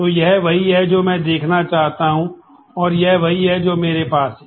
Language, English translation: Hindi, So, this is what I want visible and this is what I have